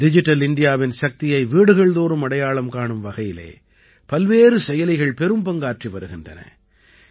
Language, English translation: Tamil, Different apps play a big role in taking the power of Digital India to every home